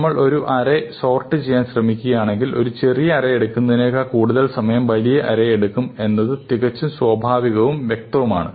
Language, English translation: Malayalam, It is quite natural and obvious, that if we are trying to sort an array, it will take longer to sort a large array than it will take to sort a short array